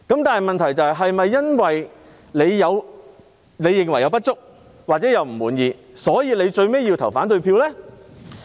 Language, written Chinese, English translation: Cantonese, 但問題是，是否因為某人認為有不足或感到不滿，所以最後便要投反對票？, But the question is should one cast a negative vote in the end simply because he thinks there are deficiencies or he is dissatisfied?